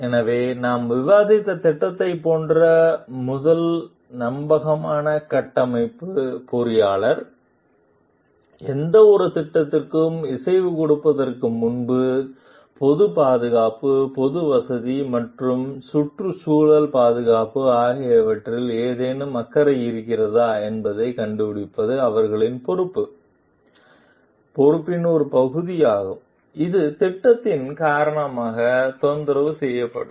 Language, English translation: Tamil, So, first trustworthy structural engineer like the project that we discussed, before giving green light for any project, it is a part of their responsibility to find out if there is any concern for public safety, public convenience and environmental protection that would be disturbed because of the project